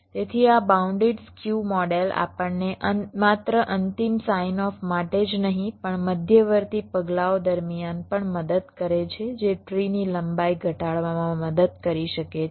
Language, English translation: Gujarati, so this bounded skew model helps us not only for the final signoff but also during intermediate steps that can help in reducing the length of the tree